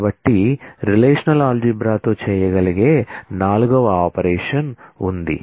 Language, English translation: Telugu, So, there is a 4th operation that one can do with the in relational algebra